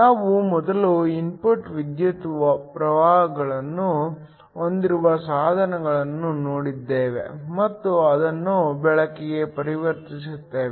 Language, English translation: Kannada, We first looked at devices where we have an input electrical current and convert that into light